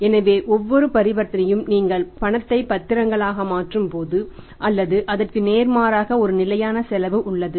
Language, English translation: Tamil, So every transaction when you are converting cash into security or vice versa it has a fixed cost